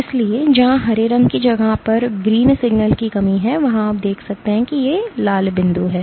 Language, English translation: Hindi, So, where the green space is lacking the green signal is lacking you see that there are these red dots